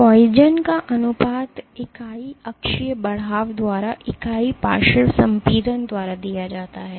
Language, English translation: Hindi, Poisson’s ratio is given by unit lateral compression by unit axial elongation